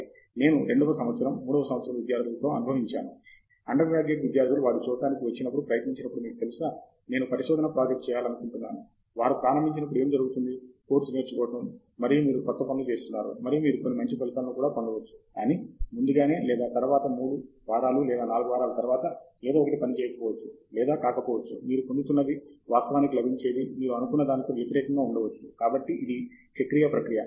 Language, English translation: Telugu, This I have experienced with second year, third year, undergraduate students when they come to try to just see, you know, I want do a research project, what happens is when you start off, there is of course learning and you are doing new things, and you might get some good results also, but sooner or later three weeks or four weeks down the line, you will… may be either something may not work or may be what you thought actually was opposite of what you are getting, and all those things so that’s the cyclic process